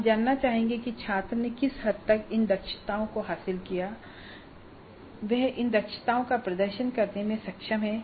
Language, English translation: Hindi, Now we would like to know what is the extent to which the student has acquired these competencies and is able to demonstrate these competencies